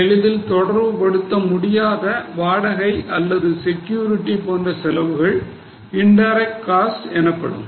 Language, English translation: Tamil, And those which cannot be related very easily, like rent or like security security they would be considered as indirect costs